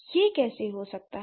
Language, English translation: Hindi, So then how can it happen